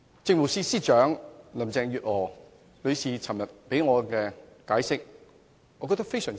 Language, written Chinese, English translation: Cantonese, 政務司司長林鄭月娥昨天的解釋，我覺得非常滿意。, I am highly satisfied with the explanation given by the Chief Secretary for Administration Mrs Carrie LAM yesterday